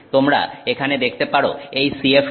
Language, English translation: Bengali, So, throughout you get the CF2, CF2